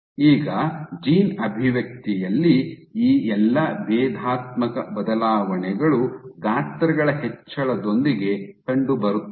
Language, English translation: Kannada, So, now all these differential changes in gene expression that were observed with increase in sizes